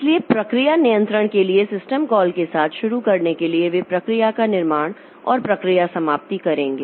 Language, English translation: Hindi, So, to start with the system calls for process control, they will create process and terminate process